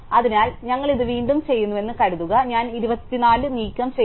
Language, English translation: Malayalam, So, supposing we do this again, then I remove 24